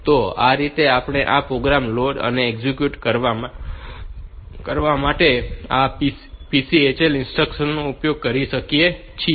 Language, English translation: Gujarati, So, this way we can use this PCHL instruction for doing this program load and execution